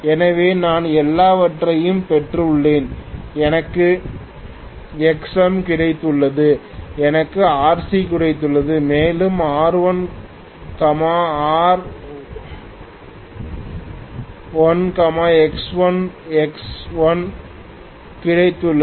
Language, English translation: Tamil, So I have got everything, I have got XM, I have got RC and I have got R1 R2 dash X1 X2 dash